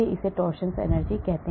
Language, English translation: Hindi, this is the called the torsion energy